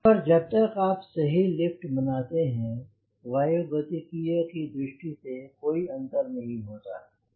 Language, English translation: Hindi, but as long as you produce appropriate lift it doesnt make much of a difference from aero dynamics model